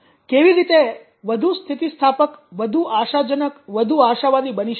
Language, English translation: Gujarati, how will be more resilient more hopeful more optimistic